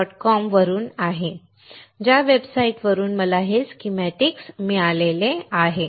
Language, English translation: Marathi, com, the website from which I got this schematic